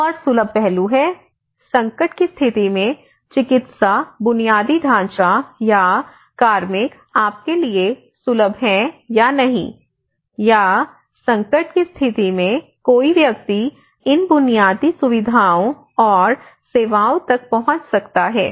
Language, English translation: Hindi, Another aspect is accessible: Whether the medical infrastructure or the personnel are accessible to you or not, in the event of crisis can someone access these infrastructure and services